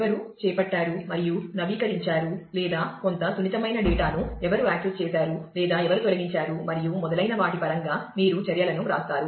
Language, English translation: Telugu, So, where you write down actions in terms of who carried out and update, or who access some sensitive data, or who did a delete and so on